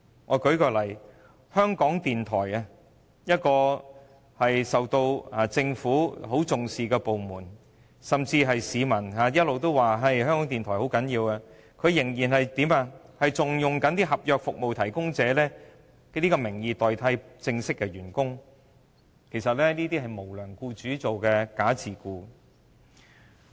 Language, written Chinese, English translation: Cantonese, 我舉例，香港電台是政府很重視的部門之一，市民一直也說香港電台很重要，但香港電台仍然以服務合約提供者代替正式員工，其實這就是無良僱主實行"假自僱"。, For instance the Radio Television Hong Kong RTHK is among others taken very seriously by the Government . Although RTHK is also considered to be very important by members of the public it has continued to use service contract providers to substitute formal employees . Like an unscrupulous employer it is actually encouraging its employees to practise bogus self - employment